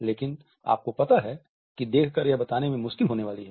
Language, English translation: Hindi, But you know that is going to be hard to tell by looking